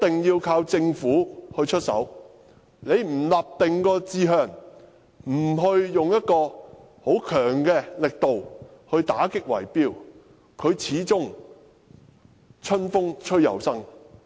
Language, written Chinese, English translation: Cantonese, 如果政府不立定志向，不強力打擊圍標，問題始終會春風吹又生。, If the Government is not determined to combat bid - rigging with vigorous efforts this problem will spring back to life somehow